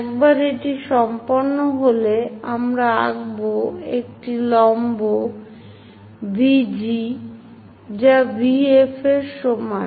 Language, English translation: Bengali, Once that is done, we draw a perpendicular VG is equal to VF passing through V point